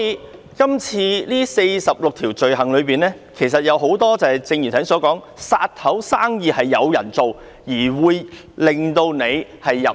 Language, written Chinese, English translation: Cantonese, 《逃犯條例》載列的46項罪類，很多屬於剛才所說的"殺頭生意有人做"，可能令人入獄。, The Fugitive Offenders Ordinance covers 46 items of offences many of which involve businesses which might lead to decapitation as mentioned above and people might be put behind bars